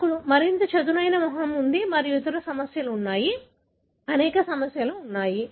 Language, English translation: Telugu, We have more flat face and that there are other problems, there are a number of problems